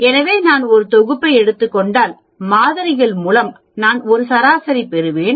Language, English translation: Tamil, So, if I am taking a set of samples, I will get a mean